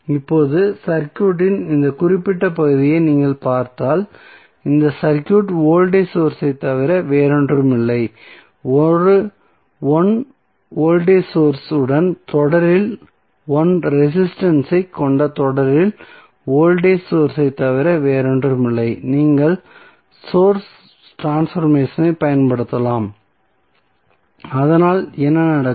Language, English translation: Tamil, Now, if you see this particular segment of the circuit this segment of circuit is nothing but voltage source in series with 1 current voltage source in series with 1 resistance you can apply source transformation so what will happen